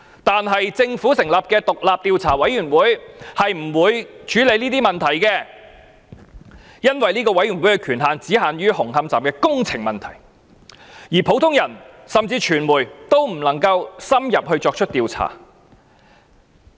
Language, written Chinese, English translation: Cantonese, 但是，政府成立的獨立調查委員會並不會處理這些問題，因為這個委員會的權限只限於紅磡站的工程問題，而普通人甚至傳媒也不能深入作出調查。, But the Commission established by the Government will not deal with these questions for its terms of reference is only confined to problems with the construction works of the Hung Hom Station while members of the ordinary public or even the media cannot carry out any in - depth investigation